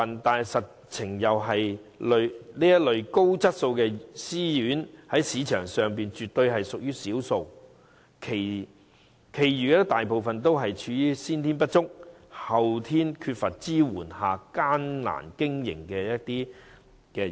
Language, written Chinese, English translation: Cantonese, 不過，實情是這類高質素的私營院舍在市場上絕對屬於少數，其餘大部分私營院舍均在先天不足、後天缺乏支援的情況下艱苦經營。, Yet in reality these quality self - financing RCHEs far and few between in the market . Most of the self - financing RCHEs are striving hard to survive despite their intrinsic deficiencies and lack of support